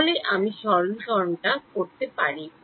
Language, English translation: Bengali, So, I can do that simplification